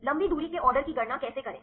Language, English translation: Hindi, How to calculate the long range order